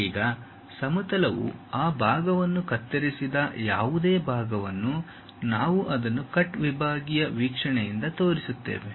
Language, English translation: Kannada, Now, the plane whatever it cuts that part only we will show it by cut sectional view